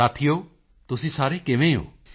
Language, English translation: Punjabi, Friends, how are you